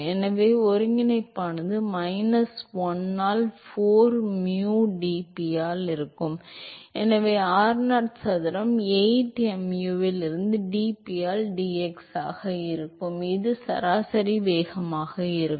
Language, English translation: Tamil, So, the integral will be minus 1 by 4 mu dp by, so there will be r0 square by 8 mu in to dp by dx, so that will be the average velocity